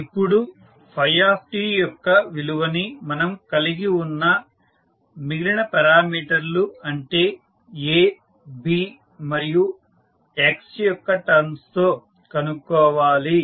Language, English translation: Telugu, Now, we need to find out the value of phi t in term of the other parameters which we have like we have A, B and x, so what we will do